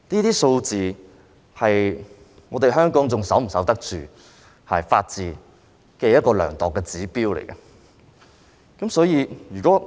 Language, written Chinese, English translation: Cantonese, 這些數字是量度香港能否守得住法治的指標。所以，如果......, These figures serve as indicators measuring Hong Kongs ability to uphold the rule of law